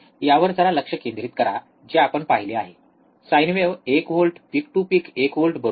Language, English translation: Marathi, Concentrate on this what we have seen apply sine wave ok, one volt peak to peak, peak to peak is one volt, right